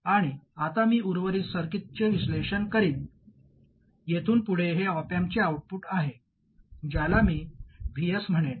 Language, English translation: Marathi, That is from this point onwards this is the output of the op amp that I call VS